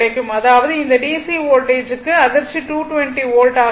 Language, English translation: Tamil, So, in case of DC 220 volts, it is 220 volt only